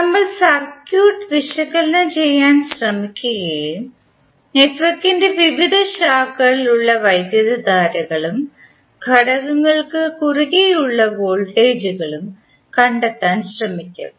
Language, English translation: Malayalam, We will try to analysis the circuit and try to find out the currents which are there in the various branches of the network and the voltage across the components